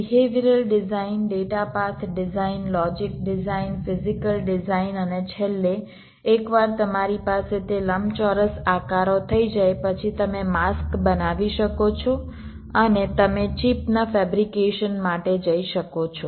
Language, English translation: Gujarati, i have already mentioned them: behavior design, data path design, logic design, physical design and finally, once you have those rectangular shapes, you can create the masks and you can go for fabrication of the chip